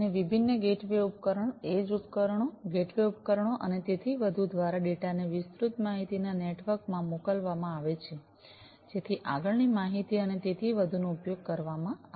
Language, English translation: Gujarati, And through the different gateway devices, edge devices, gateway devices and so on the data are sent to the wide area network for further dissemination of different information and so on